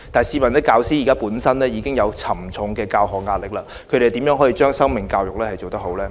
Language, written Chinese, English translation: Cantonese, 試問教師本身已有沉重的教學壓力，他們又如何把生命教育做得好呢？, When teachers are already overloaded with teaching duties how can they design life education courses properly?